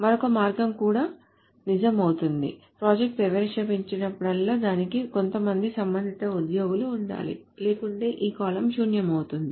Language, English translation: Telugu, Whenever a project is introduced, it must have some corresponding employees, otherwise this column becomes null